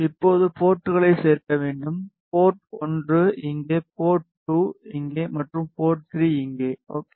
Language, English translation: Tamil, Now adding ports; port 1 here, port 2 here and port 3 here ok